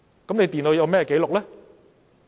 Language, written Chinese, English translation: Cantonese, 電腦會有甚麼紀錄？, What record will they leave on the computer?